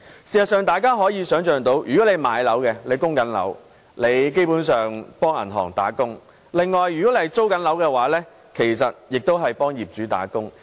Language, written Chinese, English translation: Cantonese, 事實上，大家可以想象，那些買了物業並正在供樓的人基本上是為銀行打工，而那些租樓的人其實亦是為業主打工。, Actually we all know that people who have purchased flats and are servicing mortgages are basically just working for the banks . Rent - payers are just working for their landlords